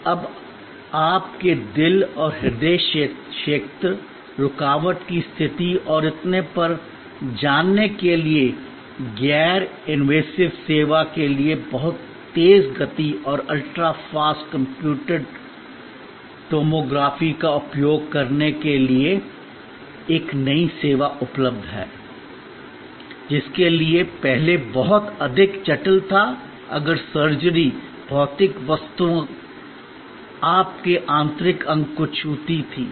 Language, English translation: Hindi, Now, there is a new service available to use the very high speed and ultra fast computed tomography for non invasive service to know about your heart and heart areal, blockage conditions and so on for which earlier there was a very much more complicated in ways if surgery, were physical objects touched your internal organ